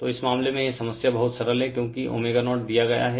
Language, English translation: Hindi, So, in this case this problem is very simple, because omega 0 is given